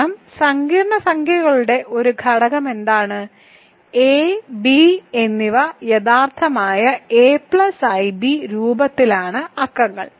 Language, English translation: Malayalam, Because what is an element of complex numbers it is of the form a plus i b where a and b are real numbers